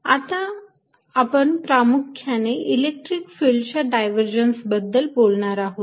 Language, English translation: Marathi, we are now going to specialize to electric field and talk about the divergence of an electric field